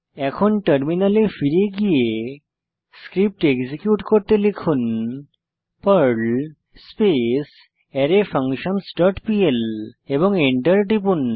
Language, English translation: Bengali, Then switch to the terminal and execute the Perl script by typing perl arrayFunctions dot pl and press Enter